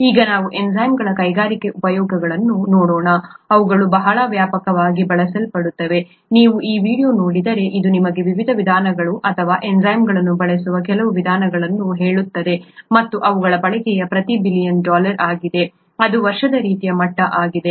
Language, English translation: Kannada, Now let us look at the industrial uses of enzymes, they are very widely used, f you look at this video, it’ll tell you the various ways or some of the ways in which enzymes are used and their usage is billions of dollars per year kind of level